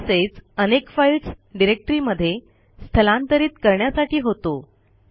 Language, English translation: Marathi, It also moves a group of files to a different directory